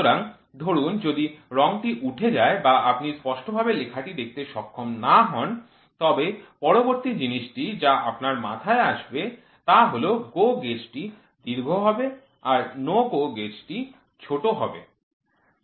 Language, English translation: Bengali, So, suppose if the paint peels off or you are not able to clearly see the writing, then the next thing which should strike your mind is GO gauge will always be longer no GO gauge will be shorter